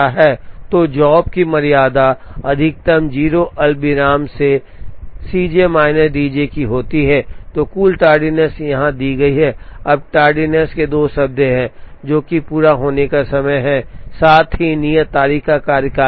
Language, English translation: Hindi, So, tardiness of job j is maximum of 0 comma C j minus D j and total tardiness is given here, now the tardiness has two terms, which is the completion time term, as well as the due date term